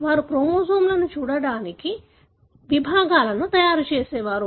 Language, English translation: Telugu, They used to make sections to look at chromosomes